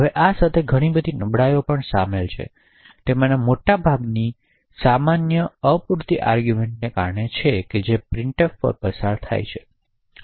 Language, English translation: Gujarati, Now, there are a lot of vulnerabilities involved with the printf, so most common of them is due to insufficient arguments which are passed to printf